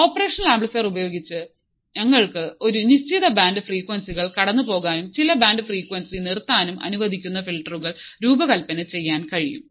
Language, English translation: Malayalam, With the operational amplifier we can design filters that can allow a certain band of frequencies to pass and certain band of frequency to stop